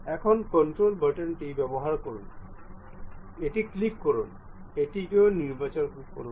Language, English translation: Bengali, Now, use control button, click, select this one also, select this one, select this one